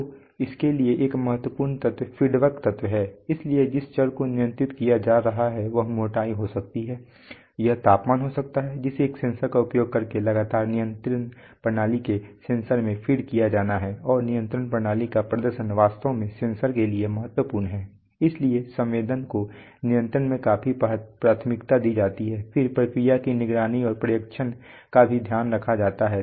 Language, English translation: Hindi, So for that a critical element is the feedback element, so the variable which is being controlled it may be thickness, it may be temperature, whatever has to be continuously fed back using a sensor, in the sensor of the control system and the performance of the control system is actually critical to that of, this to the sensor so sensing is of primary importance in control, then process monitoring and supervision so you know all kinds of you know coordination between machines, then fault detection, safety measures all this can be done